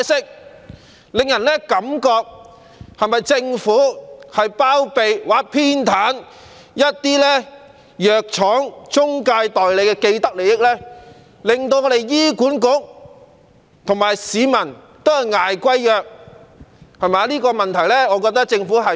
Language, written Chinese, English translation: Cantonese, 這令人覺得政府是否在包庇或偏袒一些藥廠和中介代理的既得利益，令醫管局和市民均要負擔昂貴的藥費。, This makes people wonder if the Government is harbouring or favouring the vested interests of some pharmaceutical companies and intermediary agents such that both HA and members of the public have to bear the exorbitant expenditure on drugs